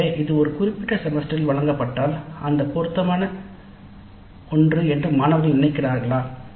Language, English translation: Tamil, So if it is offered in a particular semester do the students feel that that is an appropriate one